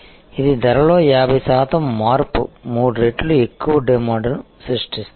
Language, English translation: Telugu, So, this is a 50 percent change in price creates 3 times more demand